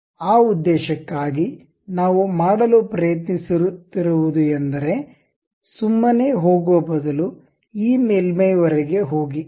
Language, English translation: Kannada, For that purpose what we are trying to do is, instead of blind; go all the way up to the surface